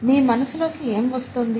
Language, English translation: Telugu, What comes to your mind